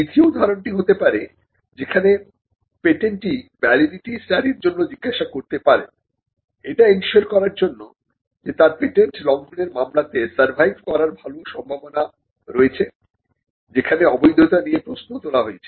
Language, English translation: Bengali, Now the second instance could be where the patentee could ask for a validity study to ensure that he has a good chance of surviving on patent infringement suit; where invalidity has been questioned